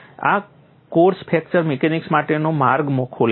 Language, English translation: Gujarati, This course open the door way for fracture mechanics